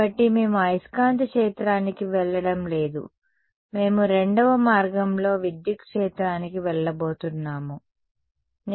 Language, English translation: Telugu, So, we are not going to go to the magnetic field we are going to go the second route to the electric field ok